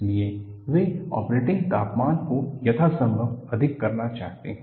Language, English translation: Hindi, So, they want to push the operating temperature as high as possible